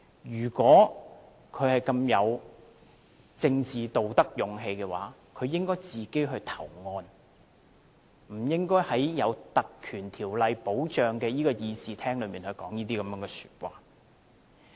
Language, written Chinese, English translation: Cantonese, 如果他有政治道德和勇氣，應該自行投案，不應該在受《立法會條例》保障的會議廳內說這些話。, He should turn himself in if he has political ethics and courage instead of making such remarks inside the Chamber where he is under the protection of the Legislative Council Ordinance